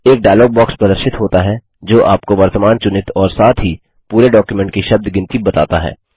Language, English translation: Hindi, A dialog box appears which shows you the word count of current selection and the whole document as well